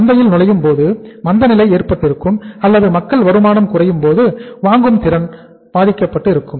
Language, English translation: Tamil, When because of the recession it entered the market or because when the say income of the people go down then the purchasing power of the people is affected